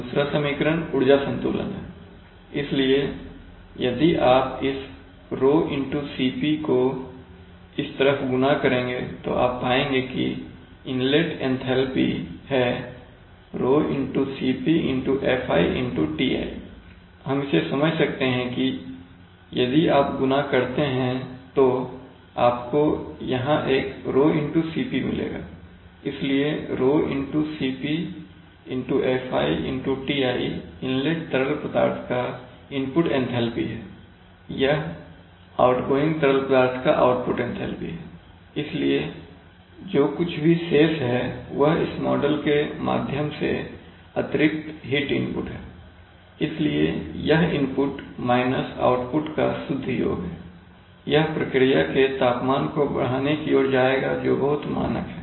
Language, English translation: Hindi, The second equation is the energy balance, so if you multiply this ρCp this side you will, you will find that the inlet enthalpy is Fi into, ρCpFi into Ti, we can understand this, that if you multiply you will get a ρCp here, you will get a ρCp here, you will get a ρCp here, so ρCpFiTi is the input enthalpy of the incoming fluid, this is the output enthalpy of the outgoing fluid, so whatever is remaining this is the additional heat input through this coil so this net, this is the net sum of the input minus output that will go towards increasing the temperature of the process that is very standard